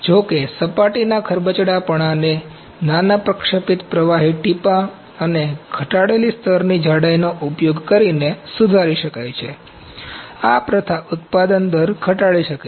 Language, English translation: Gujarati, Although surface roughness can be improved using a smaller deposit bead and reduced layer thickness, this practice may reduce the production rate